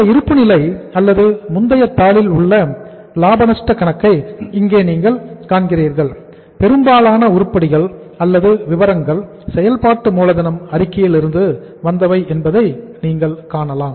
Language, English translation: Tamil, So if you are seeing here this balance sheet or maybe the profit and loss account in the previous sheet here most of the items have come from the working capital statement